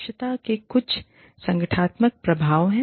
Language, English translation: Hindi, There are some organizational effects of efficiency